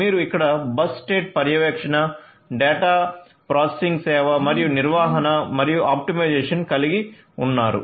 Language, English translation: Telugu, So, you have over here bus state monitoring, data processing service and third is in the management and optimization